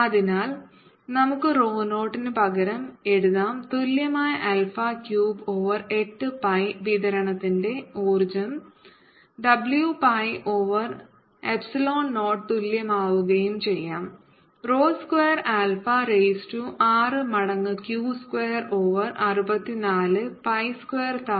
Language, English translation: Malayalam, so we can substitute: rho zero equals alpha cubed q over eight pi and get the energy of the distribution to be: w equals pi over epsilon zero, rho square, which will be alpha raise to six times q square over sixty four, pi square times alpha raise to five